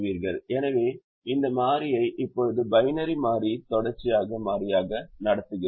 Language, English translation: Tamil, so we treat this variable now from a binary variable to a continuous variable